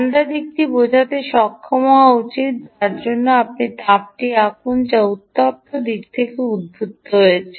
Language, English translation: Bengali, the cold side should be able to, with i mean, draw the ah, the heat which is emanating from the ah, hot side